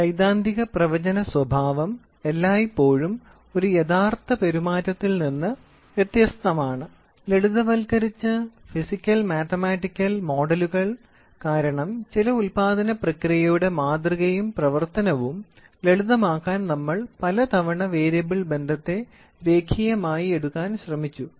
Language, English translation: Malayalam, The theoretical production behaviour is always different from a real time behaviour, as simplified physical mathematical models because many a times to simplify the model and working of some manufacturing process we tried to take variable relationship as linear